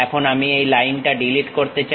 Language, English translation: Bengali, Now, I would like to delete this line